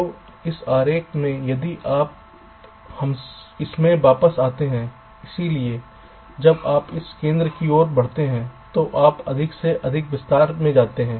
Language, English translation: Hindi, so in this diagram, if you come back to it, so as you move towards this center, your going into more and more detail